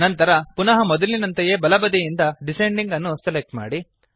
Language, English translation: Kannada, Again, from the right side, select Descending